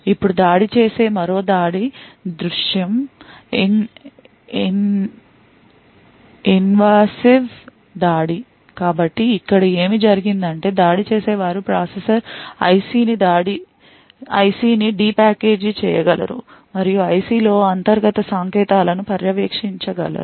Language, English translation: Telugu, Now another possible attack scenario is due to invasive attack, So, what happened over here is that attackers may be able to de package the processor IC and will be able to monitor internal signals within the IC